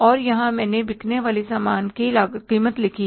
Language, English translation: Hindi, And here I have written the cost of goods sold